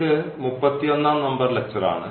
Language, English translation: Malayalam, So, this is lecture number 31